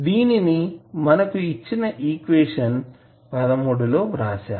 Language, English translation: Telugu, So, what you can write for this equation